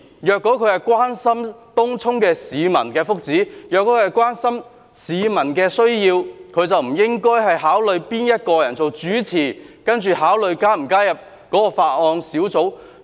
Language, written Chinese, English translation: Cantonese, 如果他關心東涌市民的福祉，關心市民的需要，便不應該考慮誰是主席，才決定是否加入這個法案委員會。, If he cares about the wellbeing of Tung Chung residents and the needs of the public he should not consider who the Chairman is when deciding whether to join this Bills Committee